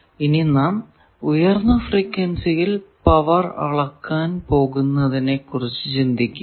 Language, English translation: Malayalam, Now, think of that if we try to measure power for at high frequency